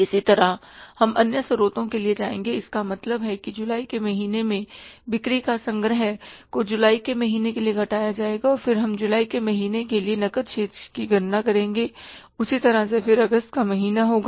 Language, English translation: Hindi, Similarly we will go for the other sources means the collection of sales in the month of July, we will subtract the payment for the month of July and then the closing cash balance we will calculate for the month of July